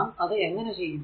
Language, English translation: Malayalam, Now, how we will do it